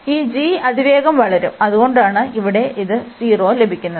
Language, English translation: Malayalam, This g will be growing faster, and that is a reason here we are getting this 0